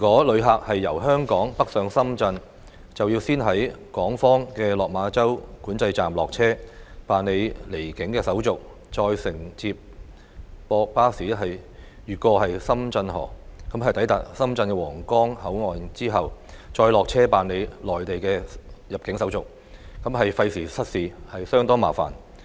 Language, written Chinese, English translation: Cantonese, 旅客若由香港北上深圳，需要先在港方的落馬洲管制站落車，辦理離境手續，再乘接駁巴士越過深圳河，抵達深圳皇崗口岸後，再落車辦理內地的入境手續，既費時失事，亦相當麻煩。, Passengers travelling north from Hong Kong to Shenzhen have to get off their vehicles at the Lok Ma Chau Control Point on the Hong Kong side go through departure procedures then take a shuttle bus across the Shenzhen River and then upon arrival at the Huanggang Port in Shenzhen get off the bus to go through immigration procedures of the Mainland . Apart from being costly in both time and effort the process is also quite cumbersome